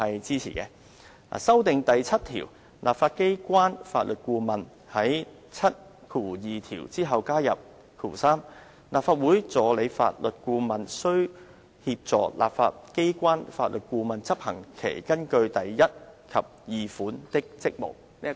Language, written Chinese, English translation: Cantonese, 至於修訂第7條的建議，則是在第72條之後加入 "3 立法會助理法律顧問須協助立法機關法律顧問執行其根據第1及2款的職務。, The amendment he proposes to RoP 7 seeks to add 3 The Deputy Counsel shall assist the Counsel to the Legislature in discharge of his duties under subrules 1 and 2 . after RoP 72